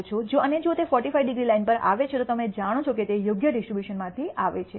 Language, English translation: Gujarati, And if they fall on the 45 degree line then you know that it comes from the appropriate distribution